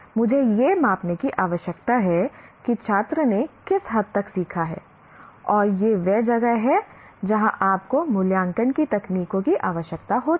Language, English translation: Hindi, So I need to measure to what extent the student has learned and that is where you require the techniques of evaluation